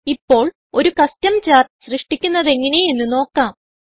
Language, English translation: Malayalam, Now, lets learn how to create a Custom chart